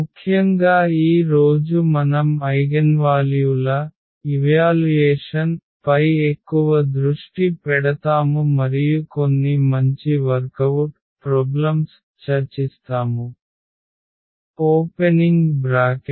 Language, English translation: Telugu, In particular today we will focus more on evaluation of the eigenvalues and some good worked out problems will be discussed